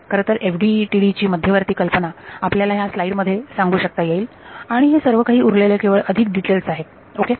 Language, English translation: Marathi, In fact, the central idea of FDTD can be told to you in this one slide and that is it the rest of it are all just details ok